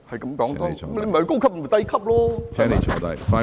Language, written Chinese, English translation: Cantonese, 他不是高級，就是低級，對不對？, Since he was not of senior rank he was of junior rank right?